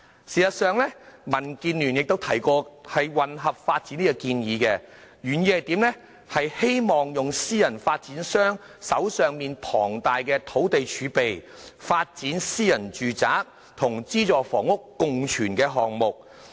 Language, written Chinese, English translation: Cantonese, 事實上，民建聯亦曾提出"混合發展"建議，原意是希望利用私人發展商手上龐大的土地儲備，發展私人住宅與資助房屋共存的項目。, In fact DAB has proposed mixed development which aimed at taking advantage of the abundant land reserve of private developers to develop projects comprising both private and subsidized housing